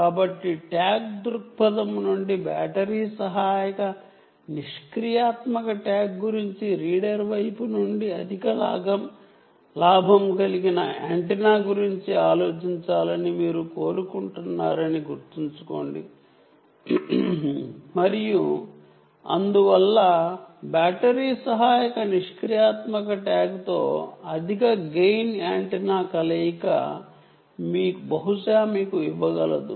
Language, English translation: Telugu, think about a high gain antenna from the reader side, think about a battery assisted passive tag from the a tag perspective, and therefore, combination of high gain antenna with battery assisted passive tag can perhaps give you a good range